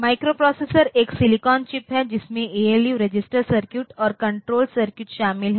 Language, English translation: Hindi, So, it is a silicon chip which includes ALU registers circuits and control circuits